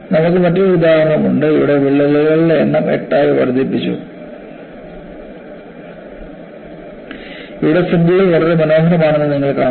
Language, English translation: Malayalam, You have another example, where, the number of cracks have increased to 8; and here again, you find the fringes are very nice